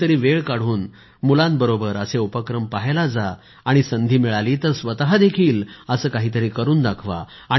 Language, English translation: Marathi, Take out some time and go to see such efforts with children and if you get the opportunity, do something like this yourself